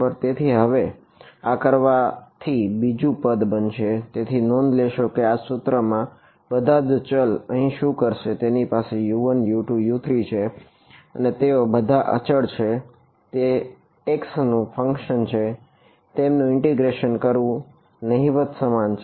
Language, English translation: Gujarati, So, now, having done this the second equation becomes, so notice this 1st equation over here what all variables does it have U 1 U 2 U 3 and they are all constants that are a function of x integrating them is trivial